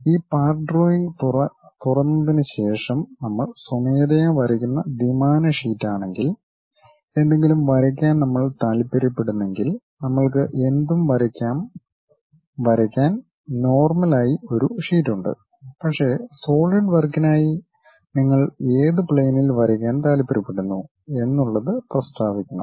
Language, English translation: Malayalam, After opening this part drawing, if we want to draw anything if it is a 2D sheet what manually we draw, we have a sheet normal to that we will draw anything, but for Solidwork you have to really specify on which plane you would like to draw the things